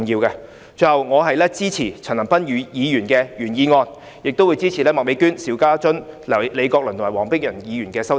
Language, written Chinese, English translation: Cantonese, 最後，我支持陳恒鑌議員的原議案，亦會支持麥美娟議員、邵家臻議員、李國麟議員和黃碧雲議員的修正案。, Lastly I support Mr CHAN Han - pans original motion and also the amendments proposed by Ms Alice MAK Mr SHIU Ka - chun Prof Joseph LEE and Dr Helena WONG